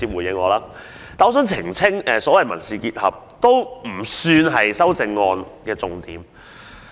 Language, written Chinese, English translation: Cantonese, 不過，我想澄清所謂的"民事結合"也並非修正案的重點。, But I must clarify that the civil union I refer to is itself not the focus of my amendment